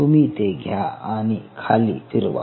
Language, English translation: Marathi, you take this for a spin, spin it down